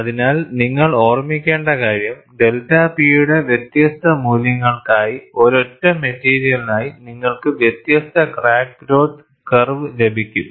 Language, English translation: Malayalam, So, what you will have to keep in mind is, for different values of delta P, you get different crack growth curve for one single material